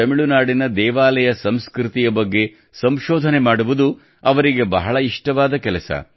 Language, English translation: Kannada, He likes to research on the Temple culture of Tamil Nadu